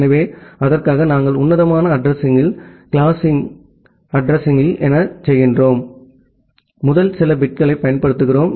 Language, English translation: Tamil, So, for that, what we do in classful addressing, in classful addressing, we use the first few bits